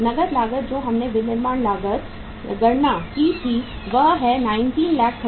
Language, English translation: Hindi, cash cost we have manufacturing cost we calculated 19,35,000